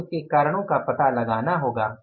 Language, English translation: Hindi, We'll have to find out the reasons for that